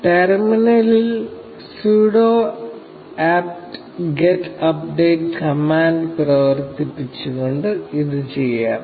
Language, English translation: Malayalam, This can be done by running the sudo apt get update command on the terminal